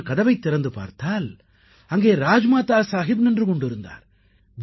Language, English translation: Tamil, I opened the door and it was Rajmata Sahab who was standing in front of me